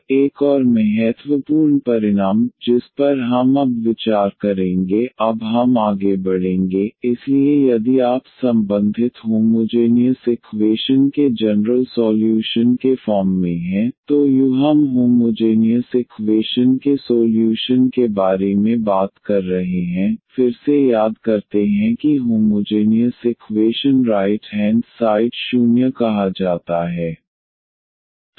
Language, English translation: Hindi, Now, another important result which we will consider now we will go through now, So if u be the general solution here of the associated homogeneous equation, so u we are talking about the solution of the homogeneous equation again recall that homogeneous equation is when the right hand side is said to be 0